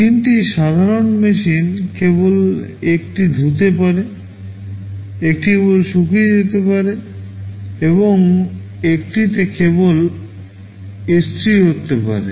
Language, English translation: Bengali, Three simple machines one which can only wash, one can only dry, and one can only iron